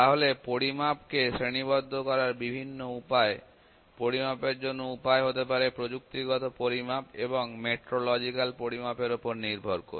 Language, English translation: Bengali, So the various ways to classify measurement another way maybe the measurement based upon the technical measurement and metrological measurement